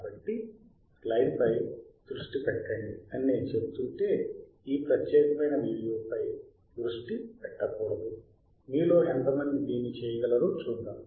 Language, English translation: Telugu, So, if I am saying that let us focus on the slide we should not focus on this particular video; let us see how many of you can do that